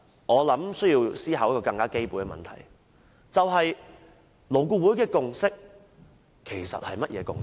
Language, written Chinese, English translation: Cantonese, 我想，有一個基本的問題需要思考，勞顧會的共識其實是甚麼共識？, I think we must consider a fundamental problem ie . what exactly is LABs consensus?